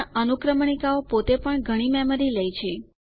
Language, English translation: Gujarati, But indexes also can take up a lot of memory